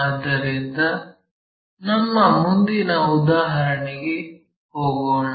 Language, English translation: Kannada, So, let us move on to our next problem